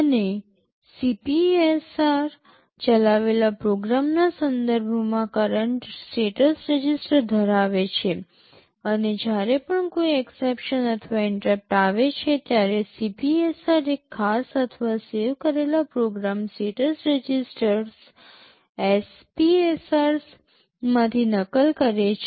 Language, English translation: Gujarati, And CPSR holds the current status register with respect to the program that is being executed, and whenever some exception or interrupt comes, the CPSR gets copied into one of the special or saved program status registers SPSRs